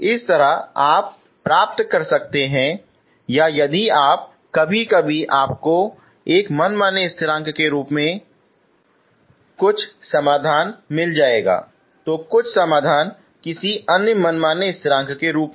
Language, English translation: Hindi, That way you can get or if you sometimes you may end up getting some solutions in terms of one arbitrary constant, some solution in terms of some other arbitrary constant